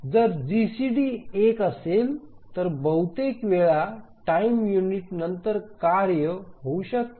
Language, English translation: Marathi, So if the GCD is one then then at most after one time unit the task can occur